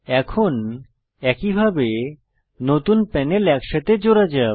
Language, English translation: Bengali, Now, let us merge the new panels back together in the same way